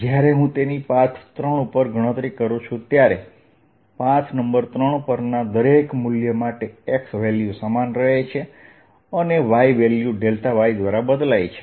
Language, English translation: Gujarati, when i calculate it over path three, for each value of x, the corresponding value on path three, the x value remains the same